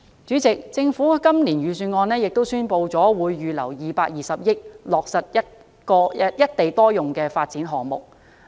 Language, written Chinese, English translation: Cantonese, 主席，政府在今年的預算案中亦宣布會預留220億元，落實多個"一地多用"的發展項目。, President in this years Budget the Government announces that it will set aside about 22 billion to take forward the first batch of projects under the single site multiple use initiative